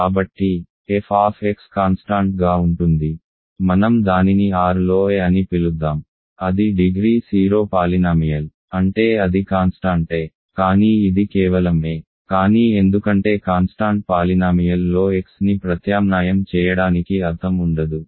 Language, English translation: Telugu, So, f x is a constant; let us call it a in R right it is a degree 0 polynomial means it is a constant a, but then this is just a, but because if there is no meaning to substitute for x in a constant polynomial